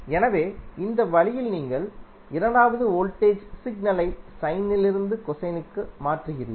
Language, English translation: Tamil, So, in this way you are converting the second voltage signal from sine to cosine